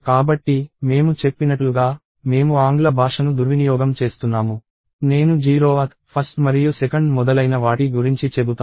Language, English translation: Telugu, So, like as I said, I abuse this, abuse English language I say 0th, 1th and 2th and so, on